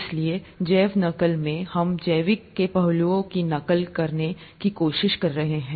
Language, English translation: Hindi, So bio mimicry, we are trying to mimic biological aspects